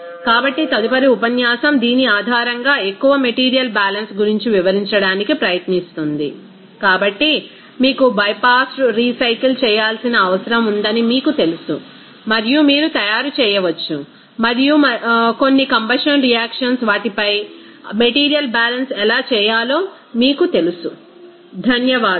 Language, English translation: Telugu, So, next lecture will try to you know describe more material balance based on you know reactive system even with multiple you know you need to recycle bypassed and you can make up and also some combustion reactions how to do the material balance on them, thank you